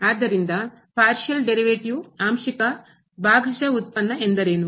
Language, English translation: Kannada, So, what is Partial Derivative